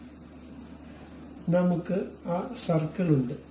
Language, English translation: Malayalam, So, we have that circle